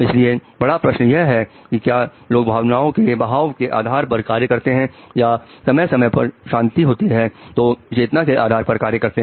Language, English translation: Hindi, So the big question is, do people act through emotional flow or rationality is just for the time when things are peaceful